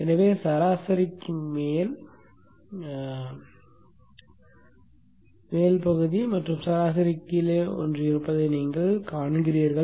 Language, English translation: Tamil, So you see that the portion above the average and the one below the average